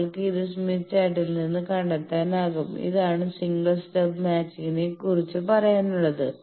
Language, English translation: Malayalam, So, you can find it from smith chart this is all about single stub matching